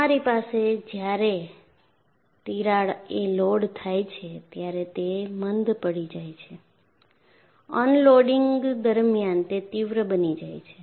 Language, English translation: Gujarati, So, you have, while the crack is loaded, it gets blunt; during unloading, it gets sharper